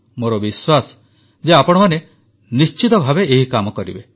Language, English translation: Odia, I am sure that you folks will definitely do this work